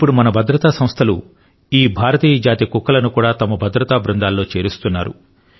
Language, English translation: Telugu, Now, our security agencies are also inducting these Indian breed dogs as part of their security squad